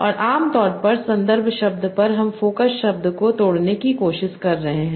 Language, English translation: Hindi, And using the context words, you are trying to break the focus word